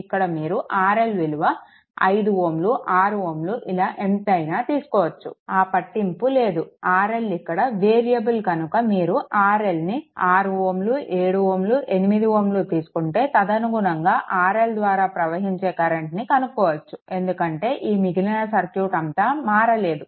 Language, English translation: Telugu, If you change the R L to 5 ohm 6 ohm does not matter you will get if R L is variable and, if you change the R L to 6 ohm 7 ohm 8 ohm like this; you will get the current through R L, because rest of the circuit were even same